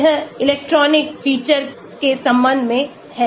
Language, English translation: Hindi, this is with respect to the electronic feature